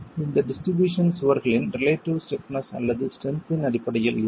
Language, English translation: Tamil, This distribution is going to be on the basis of the relative stiffness or strength of the walls themselves